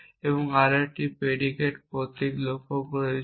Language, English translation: Bengali, This is a set of predicate symbol